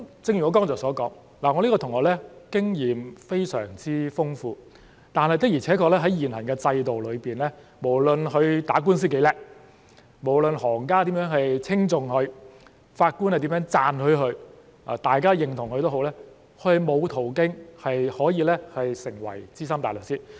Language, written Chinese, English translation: Cantonese, 正如我剛才所說，我這位同學的經驗非常豐富，但的確在現行的制度裏，無論他打官司多麼優秀，無論行家如何稱頌他，法官如何讚許他或大家認同他也好，他也沒有途徑可以成為資深大律師。, As I have just said this classmate of mine is very experienced . But it is true that under the current regime no matter how outstanding his performance in lawsuits has been no matter how much he has been commended by peers no matter how much he has been lauded by judges or no matter how much he has been recognized there was no way for him to become SC